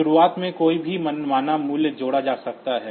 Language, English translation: Hindi, 3 to be added to have any arbitrary value at the beginning